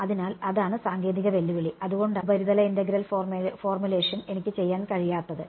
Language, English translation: Malayalam, So, that is the technical challenge that is why I cannot do surface integral formulation